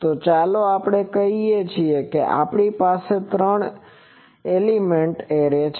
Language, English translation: Gujarati, So, here let us say that we have three element array